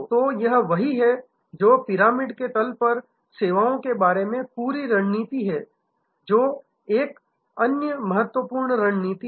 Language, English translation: Hindi, So, this is what, is this whole strategy about services at the bottom of the pyramid that is another important one